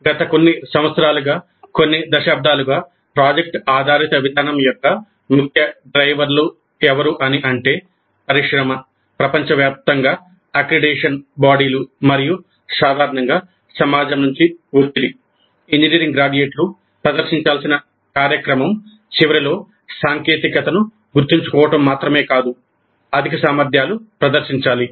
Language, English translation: Telugu, Now the key drivers for project based approach over the last few years, couple of decades, have been pressure from industry, accreditation bodies worldwide and society in general that engineering graduates must demonstrate at the end of the program not just memorized technical knowledge but higher competencies